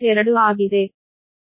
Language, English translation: Kannada, this is a